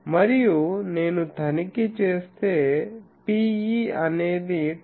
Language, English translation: Telugu, And, if I check P e is equal to 10